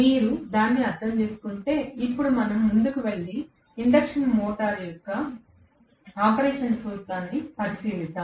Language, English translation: Telugu, If you have understood this, now, we will go ahead and look at the principle of operation of the induction motor